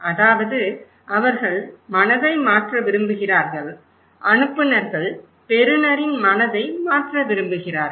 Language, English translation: Tamil, That means they want to change the mind, senders wants to change the mind of receiver’s